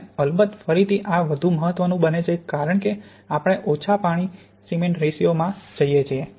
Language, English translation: Gujarati, And of course again this becomes more important as we go to low water cement ratios